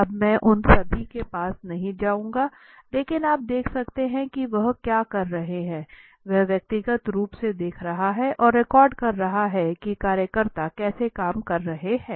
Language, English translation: Hindi, Now I will not go to all of them but you can look what he is doing he is personally observing and recording he is observing and recording what is going on how the workers are working